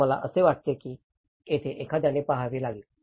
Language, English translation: Marathi, So, I think this is where one has to look at